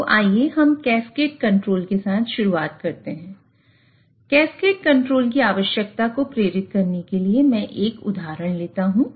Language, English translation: Hindi, So, in order to motivate the need for cascade control, let me consider an example of a fired heater